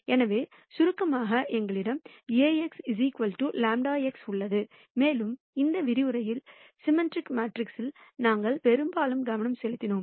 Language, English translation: Tamil, So, to summarize, we have Ax equal to lambda x and we largely focused on symmetric matrices in this lecture